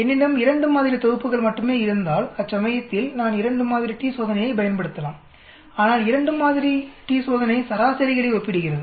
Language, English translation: Tamil, Whereas if I have only 2 sample sets I can use 2 sample t test, but 2 sample t test compares means